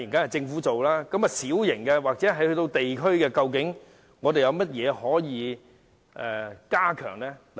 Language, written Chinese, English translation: Cantonese, 但是，就小型或地區性舉措方面，有甚麼可以加強的呢？, But as far as minor or district - level facilities are concerned can anything be done to enhance them?